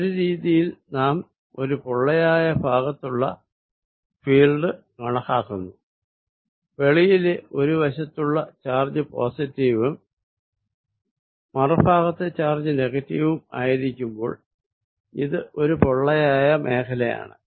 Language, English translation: Malayalam, So, in a way we are also calculating the electric field in a hollow region, this is hollow region when charge outside on one side is positive and charge on the other side is negative, these two centres are displaced by some distance a